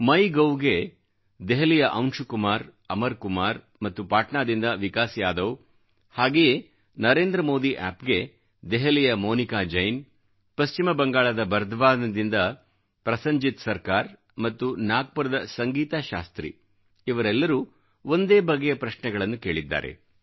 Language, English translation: Kannada, Anshu Kumar & Amar Kumar from Delhi on Mygov, Vikas Yadav from Patna; on similar lines Monica Jain from Delhi, Prosenjit Sarkar from Bardhaman, West Bengal and Sangeeta Shastri from Nagpur converge in asking a shared question